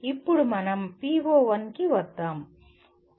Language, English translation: Telugu, Now let us come to the PO1